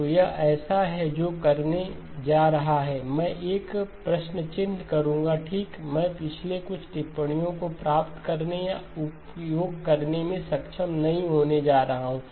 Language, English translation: Hindi, So this is one that is sort of is going to, I will put a question mark okay, I am not going to be able to achieve or utilize some of the observations in the previous one